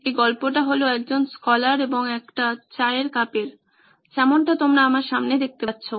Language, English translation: Bengali, The story about a scholar and a tea cup like the one you see in front of me